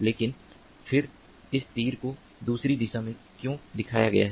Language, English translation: Hindi, but then why is this arrow shown in the other direction